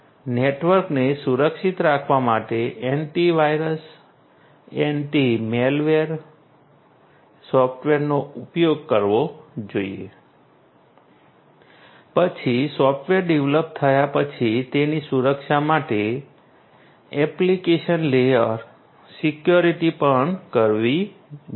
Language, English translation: Gujarati, Antivirus antimalware software should be should be used in order to protect the network, then application layer security for protection of the software after it is development that also should be done